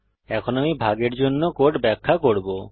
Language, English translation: Bengali, Now, I will explain the code for division